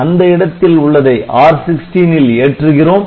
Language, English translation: Tamil, So, whatever be the value of R16